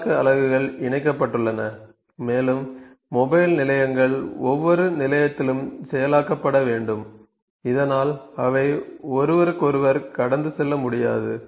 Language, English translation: Tamil, The processing units are connected and the mobile units have to be process that each station thus they cannot pass each other